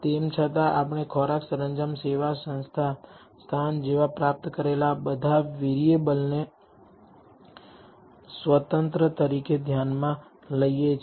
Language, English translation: Gujarati, Even though we consider all these variables that we have obtained like food ,decor, service, location as independent